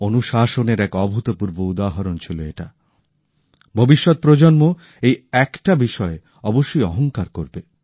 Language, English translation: Bengali, It was an unprecedented example of discipline; generations to come will certainly feel proud at that